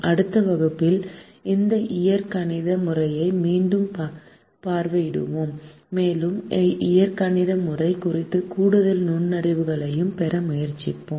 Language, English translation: Tamil, in the next class we will revisit this algebraic method and we will try to get more insights into the algebraic method